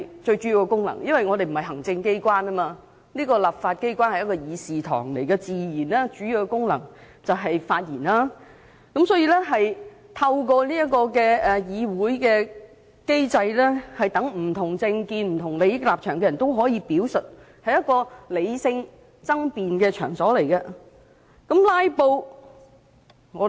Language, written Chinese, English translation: Cantonese, 這個議會並非行政機關，立法機關是議事堂，最主要的功能自然是發言，透過議會機制讓不同政見和利益立場的人作出表述，這是一個理性爭辯的場所。, This legislature is not the executive authorities and as a place to discuss businesses relevant to this Council it is only natural that our primary function is to deliver speeches so that people with different political views and stances may express their opinions through the parliamentary mechanism . This is a place for holding rational debates